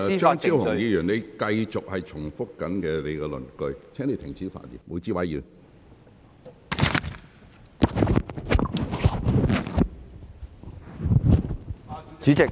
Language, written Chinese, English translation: Cantonese, 張超雄議員，你正在繼續重複你的論據，請你停止發言。, Dr Fernando CHEUNG you are still repeating your arguments please stop speaking